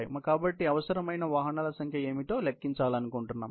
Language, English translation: Telugu, So, we want to calculate what is the number of vehicles, which are needed